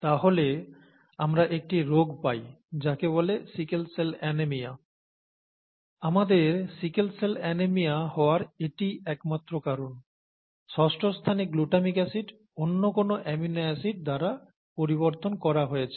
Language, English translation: Bengali, ThatÕs the only reason why we get sickle cell anaemia; this glutamic acid at the sixth position has been replaced by another amino acid